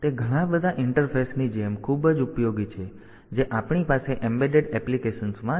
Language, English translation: Gujarati, So, they are very very much useful like many of the interfaces that we have in embedded applications